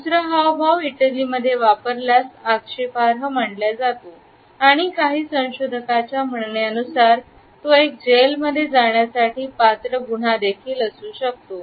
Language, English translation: Marathi, The second gesture if used in Italy is considered to be offensive and as some researchers suggest, it can be a jailable offense also